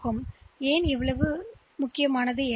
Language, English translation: Tamil, Why is it so important